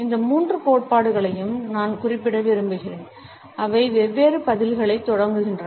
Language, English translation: Tamil, I would prefer to refer to these three theories, which is started different responses in their wake